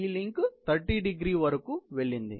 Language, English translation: Telugu, So, this link has gone about 30º